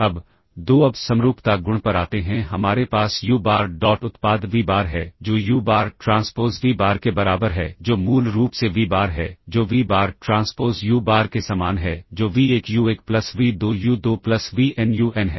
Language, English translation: Hindi, Now 2, now coming to the symmetry property, we have uBar dot product vBar which is equal to uBar transpose vBar, which is basically vBar same as vBar transpose uBar which is v1u1 plus v2u2 plus vnun which is vBar uBar and 3 So, symmetry satisfies a symmetric property, now we have to look at the positive semi definiteness